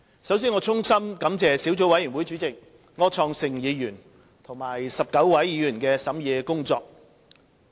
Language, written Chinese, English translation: Cantonese, 首先，我衷心感謝小組委員會主席柯創盛議員和19位議員的審議工作。, First of all I would like to express my heartfelt gratitude to the Chairman of the Subcommittee Mr Wilson OR and 19 members for their scrutiny of the Notices